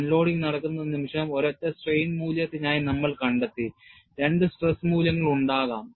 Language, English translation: Malayalam, The moment unloading takes place, we found for a single strain value, there could be two stress values and you need to keep track of the loading history